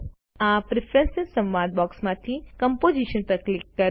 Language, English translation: Gujarati, From the Preferences.dialog box, click Composition